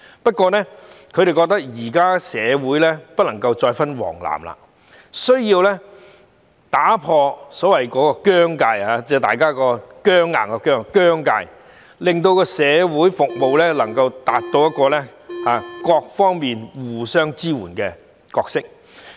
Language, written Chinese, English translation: Cantonese, 不過，他們認為社會人士不能夠再有黃藍之分，有需要打破所謂的"僵界"僵硬的"僵"在社會服務方面發揮互相支援的角色。, Nevertheless they think that members of the community should not be divided into yellow and blue camps anymore and need to break the so - called rigid boundary so as to play a mutually supportive role in respect of social services